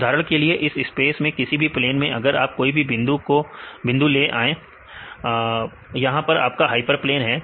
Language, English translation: Hindi, For example, if you take any points right any plane this space right here, this is the your hyperplane right